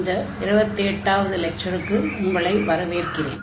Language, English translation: Tamil, So, welcome back, this is lecture number 28